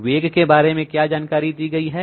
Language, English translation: Hindi, What is the information given about the velocity